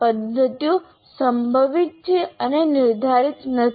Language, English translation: Gujarati, So the methods are probabilistic and not deterministic